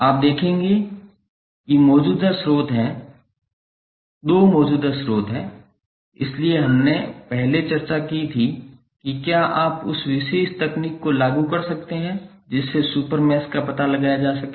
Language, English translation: Hindi, That you will observe that there are two current sources, so what we discussed previously if you apply that particular technique to find out the super mesh